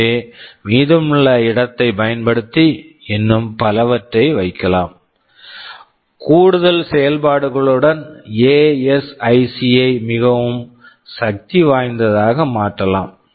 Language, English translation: Tamil, So, you can use the remaining space to put in much more; you can saywith additional functionality to make the ASIC very powerful right ok